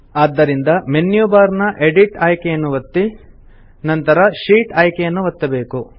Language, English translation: Kannada, So we click on the Edit option in the menu bar and then click on the Sheet option